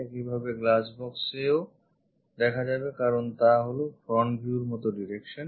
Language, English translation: Bengali, Similarly on the glass box because, this is the front view kind of direction